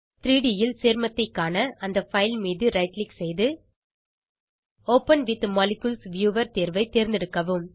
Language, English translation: Tamil, To view the compound in 3D, right click on the file, choose the option Open with Molecules viewer